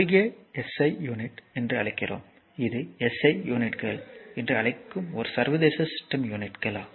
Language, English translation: Tamil, That is we call in short SI unit right, it is a international system units we call SI units right